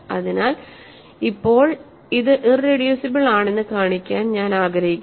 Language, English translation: Malayalam, So, now, I want to show that it is irreducible